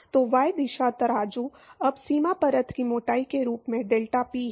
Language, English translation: Hindi, So, y direction scales as the boundary layer thickness now deltaPy